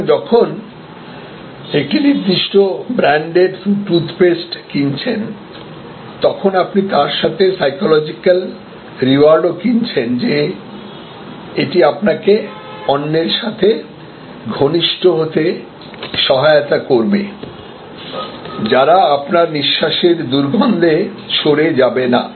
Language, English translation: Bengali, So, when you buy a certain brand of toothpaste you are buying the psychological reward that it will help you to get close to others, who will not get repulsed by your bad breath